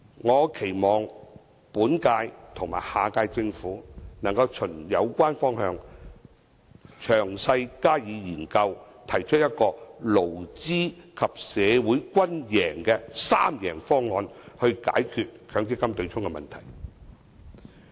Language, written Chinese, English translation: Cantonese, 我期望本屆和下屆政府能循有關方向加以詳細研究，提出一個勞資及社會均贏的"三贏方案"，解決強積金對沖的問題。, I hope the current - term and the next - term Government can conduct in - depth studies along this direction and put forth a three - win solution for employers employees and the community to tackle the issue of the MPF offsetting mechanism